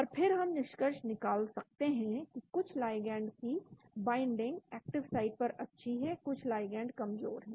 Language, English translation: Hindi, And then we can conclude that certain ligands have good binding to the active sites, certain ligands are poor